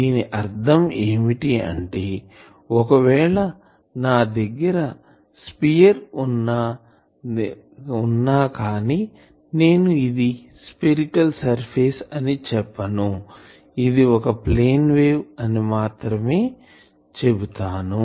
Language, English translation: Telugu, So, that that means, if I have a sphere, but suppose I am telling no this is not a spherical surface, this is a plane